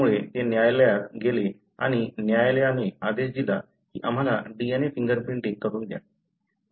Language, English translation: Marathi, So, it went to the court and, the court ordered that let us do a DNA finger printing